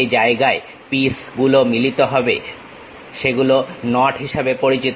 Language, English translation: Bengali, The places where the pieces meet are known as knots